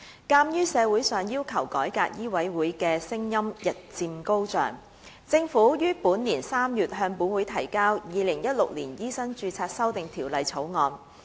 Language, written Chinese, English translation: Cantonese, 鑒於社會上要求改革醫委會的聲音日漸高漲，政府於本年3月向本會提交《2016年醫生註冊條例草案》。, Given that the voice calling for a reform of MCHK has become increasingly louder in society the Government introduced the Medical Registration Amendment Bill 2016 into this Council in March this year